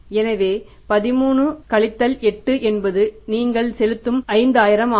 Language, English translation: Tamil, So 13 minus 8 is the 5,000